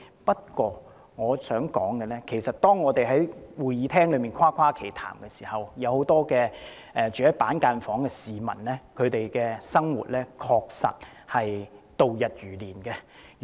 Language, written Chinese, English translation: Cantonese, 不過，我想指出的是，當我們在會議廳內誇誇其談的時候，很多居於板間房的市民確實度日如年。, However I wish to point out that as we rattle on in the legislature many members of the public living in cubicles find the days dragging on like years